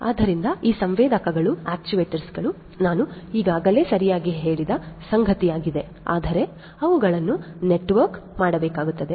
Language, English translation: Kannada, So, these sensors actuators is something that I have already mentioned right, but they will have to be networked